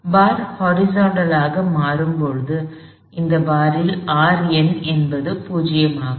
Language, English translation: Tamil, When, the bar becomes horizontal, R m is 0 in that bar